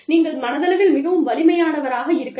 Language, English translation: Tamil, You may be, mentally very strong